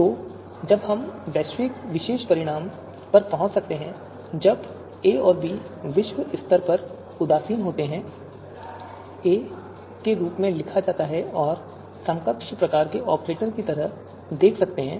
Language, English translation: Hindi, So when we can arrive at this particular you know out this particular outcome, when a and b are globally indifferent, written as a and you can see like you know equivalent kind of you know operator